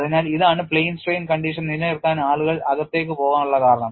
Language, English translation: Malayalam, So, this is the reason why people go in for maintaining plane strain condition